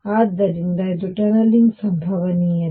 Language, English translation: Kannada, So, this is tunneling probability